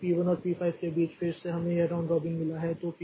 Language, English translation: Hindi, So, between P1 and P5 again we have got this round robin